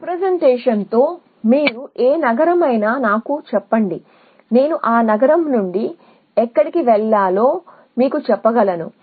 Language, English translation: Telugu, This representation says that you tell me any city and I tell you where to go from that city